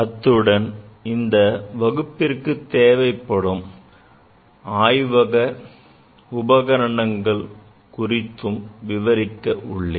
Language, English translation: Tamil, Also I will discuss about the basic components in the laboratory, which are required for this course